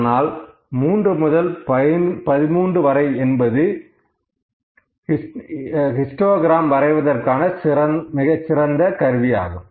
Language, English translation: Tamil, But, 3 to 13 is an ideal or I can say the best selection of the histogram as a graphic tool